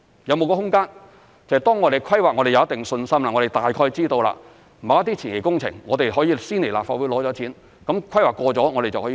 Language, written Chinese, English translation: Cantonese, 有沒有空間，當我們對規劃有一定信心，我們大概知道要做某些前期工程，可以先來立法會申請撥款，當規劃過了就可以做。, I wonder if it is possible for us to first seek funding approval from the Legislative Council for certain preliminary works which we have confidence in its planning and will likely be carried out so that the relevant works can commence as soon as the planning is approved